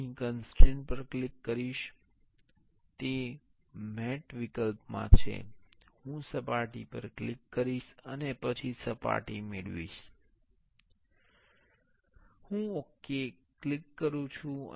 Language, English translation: Gujarati, I will click on the constraint here; it is in the mate option I will click on the surface, and then found the surface; I click ok